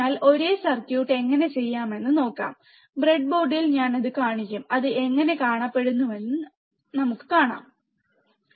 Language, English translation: Malayalam, So, let us see how we can do it the same circuit, I will show it to you on the breadboard, and then we will see how it looks like